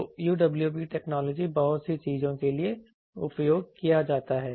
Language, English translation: Hindi, So, lot of lot of things UWB technology is used